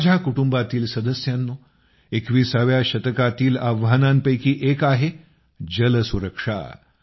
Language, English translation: Marathi, My family members, one of the biggest challenges of the 21st century is 'Water Security'